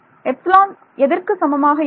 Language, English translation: Tamil, Epsilon is equal to